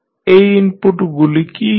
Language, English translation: Bengali, What are those inputs